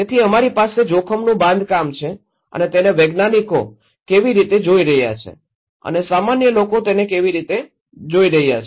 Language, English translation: Gujarati, So, we have kind of construction of risk is how the scientists are looking at it and how the common people are looking